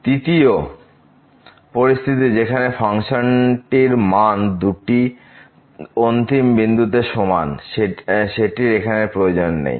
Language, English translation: Bengali, The third condition where the function was equal at the two end points is not required here